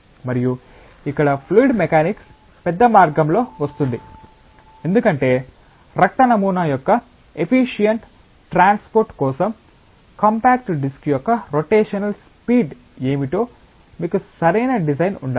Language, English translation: Telugu, And here fluid mechanics comes in a big way, because you need to have a proper design of what is the rotational speed of the compact disk for most efficient transport of the blood sample